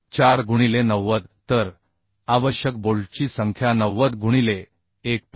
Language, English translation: Marathi, 4 into 90 So number of bolt required will be 90 into 1